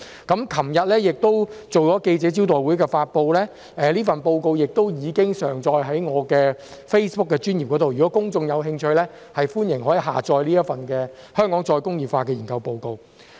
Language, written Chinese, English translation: Cantonese, 昨天亦舉行了記者招待會發布，這份報告亦已上載於我的 Facebook 專頁，如果公眾有興趣，歡迎下載這份"香港再工業化"的研究報告。, A press conference on the report was held yesterday and the report has also been uploaded to my Facebook page . If members of the public are interested they are welcome to download this research report on Re - industrialization of Hong Kong